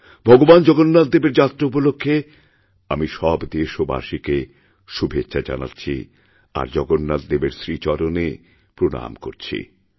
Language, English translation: Bengali, On the occasion of Lord Jagannath's Car Festival, I extend my heartiest greetings to all my fellow countrymen, and offer my obeisance to Lord Jagannath